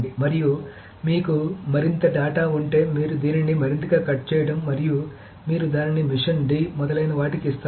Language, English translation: Telugu, And if you have more data you just cut it out more and you give it to machine D etc